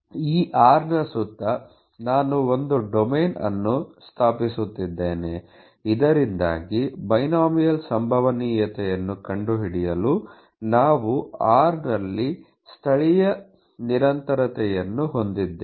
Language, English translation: Kannada, So, around this r I am establishing a domain, so that you have local continuity at r to find out the probability of binomial add